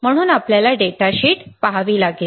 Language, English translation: Marathi, So, you have to look at the data sheet